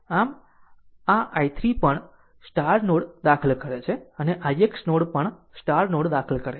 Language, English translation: Gujarati, So, this i 3 also entering into the node, and i x node also entering into the node